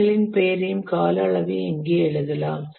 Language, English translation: Tamil, We write the name of the tasks and the durations here